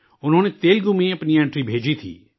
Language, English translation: Urdu, She had sent her entry in Telugu